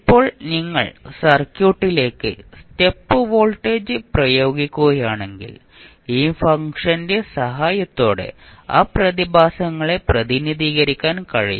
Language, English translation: Malayalam, Now, if you apply step voltage to the circuit; you can represent that phenomena with the help of this function